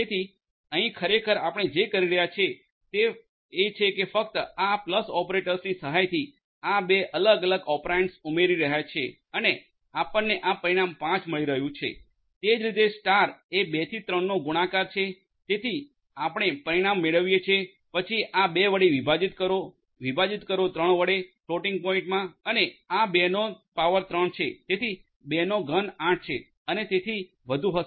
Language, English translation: Gujarati, So, here actually what you are doing is you are just adding these two different operands with the help of this plus operator and you are getting this result 5, similarly the star is for multiplications 2 into 3 so you get the result then this will be divided by 2 divided by 3 in floating point and this is 2 to the power 3 right